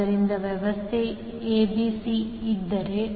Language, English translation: Kannada, So, if the arrangement is like ABC